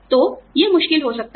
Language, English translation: Hindi, So, you know, it can be difficult